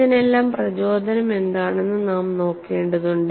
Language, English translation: Malayalam, And we will have to look at what is the motivation for all this